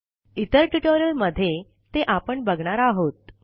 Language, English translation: Marathi, We will encounter some of them in other tutorials